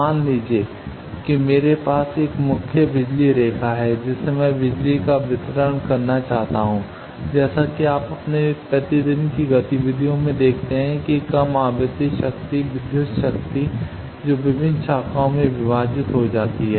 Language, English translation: Hindi, Suppose I am having a main power line from that I want distribution of power lines as you see in your day to day activities that low frequency power, the electrical power that gets divided into various branches